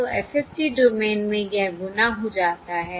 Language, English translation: Hindi, So in the frequency domain it is a multiplication